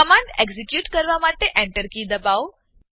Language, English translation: Gujarati, Press Enter key to execute the command